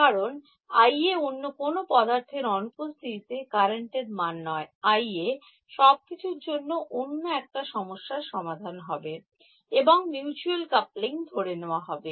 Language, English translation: Bengali, Because I A is not the current in the absence of the other object, I A is come other solution of everything all the mutual coupling has been taken into account